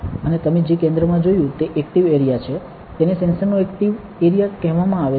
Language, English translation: Gujarati, And what you saw at the center is the active area; it is called the active area of the sensor